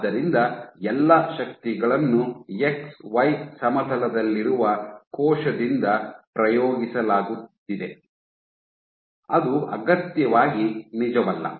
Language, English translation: Kannada, So, all the forces are being exerted by the cell in the X Y plane which is not necessarily true